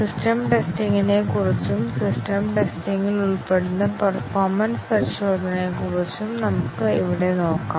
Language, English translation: Malayalam, Let us look here about the system test, about the performance tests involved in system testing